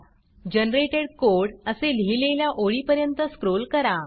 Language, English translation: Marathi, Scroll down to the line that says Generated Code